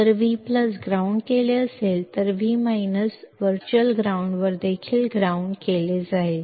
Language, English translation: Marathi, If V plus is grounded, then V minus is also grounded at virtual ground